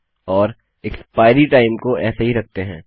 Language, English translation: Hindi, And my expiry time Ill just keep as this